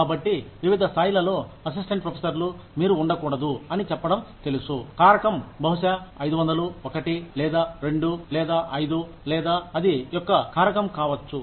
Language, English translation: Telugu, So, the transition between, say, you know, assistant professors at various levels, should not be, you know, factor of, maybe 500, could be a factor of 1, or 2, or 5, or 10